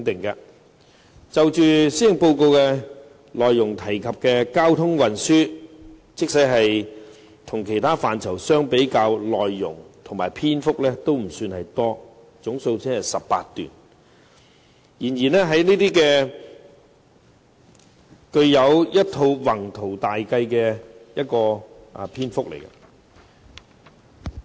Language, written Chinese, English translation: Cantonese, 施政報告提及有關交通運輸的政策，與其他範疇比較，內容和篇幅都不算多，總數只有18段，然而卻展現了一套宏圖大計。, I will give it the due recognition . When compared with policies in other areas the traffic and transport policies mentioned in the policy address are less voluminous than other polices as they only comprised 18 paragraphs but they illustrated an ambitious plan